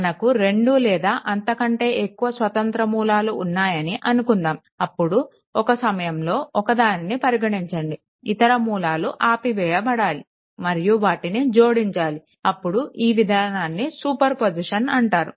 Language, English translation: Telugu, Suppose we have 2 or more independent sources, then you consider one at a time other sources should be your turn off right and you add them up right, then these approach is known as a super position